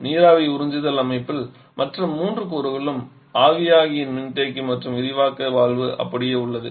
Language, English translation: Tamil, In vapour absorption system also the other 3 component that is evaporative condenser and expansion valve remains as it is